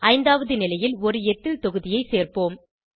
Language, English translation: Tamil, Let us add an Ethyl group on the fifth position